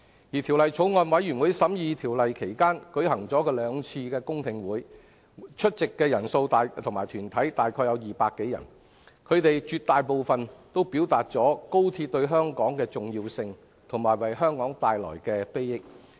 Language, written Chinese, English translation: Cantonese, 而法案委員會審議《條例草案》期間，舉行了兩次公聽會，出席的個人和團體代表約共200多人，他們絕大部分認同高鐵對香港重要，以及會為香港帶來裨益。, During the scrutiny by the bills committee two public hearing sessions were held and they were attended by more than 200 individuals and deputations . The overwhelming majority of them recognized the importance of XRL to Hong Kong and agreed that it would bring benefits to the territory